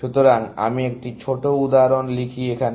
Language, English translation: Bengali, So, let me write a small example